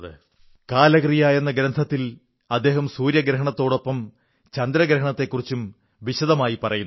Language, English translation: Malayalam, During his career, he has expounded in great detail about the solar eclipse, as well as the lunar eclipse